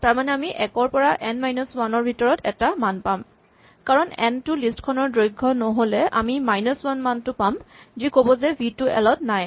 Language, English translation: Assamese, So either we get a value between 0 to n minus 1, where n is the length of the list or we get the value minus 1 saying that v is not in the list